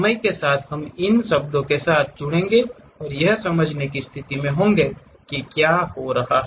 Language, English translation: Hindi, Over the time we will acclimatize with these words and will be in your position to really sense what is happening